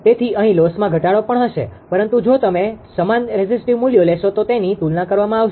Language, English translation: Gujarati, So, loss reduction also will be here, but it compared to if you take the same resistive values